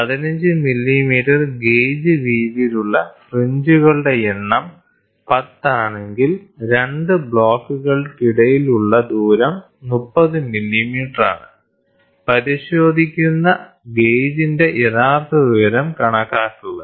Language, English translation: Malayalam, If the number of fringes on the gauge width is 15 of width of 15 millimeter is 10, the distance between the 2 blocks is 30 mm, calculate the true height of the gauge being inspected